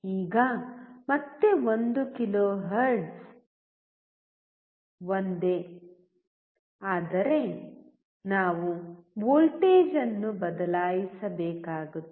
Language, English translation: Kannada, Now again 1 kilohertz is same, but we had to change the voltage